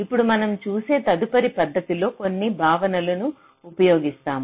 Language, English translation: Telugu, now we shall be using some concepts in the next method that you shall be looking at